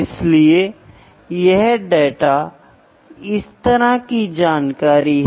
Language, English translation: Hindi, So, these are the seven basic units